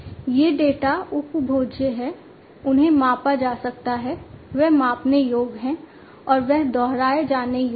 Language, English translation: Hindi, These data are consumable, they can be measured, they are measurable, and they are repeatable, right